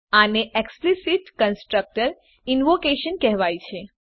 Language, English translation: Gujarati, This is called explicit constructor invocation